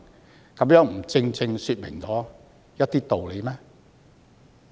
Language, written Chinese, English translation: Cantonese, 這豈不正正說明了一些道理嗎？, Has this not provided some justifications?